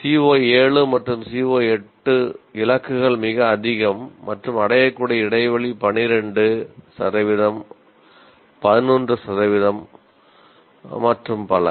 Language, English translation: Tamil, As you can see in some of the COs, CO7 and CO8, targets are much higher and the attainment gap is 12%, 11% and so on